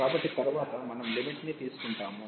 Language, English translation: Telugu, So, later on we will be going taking on the limit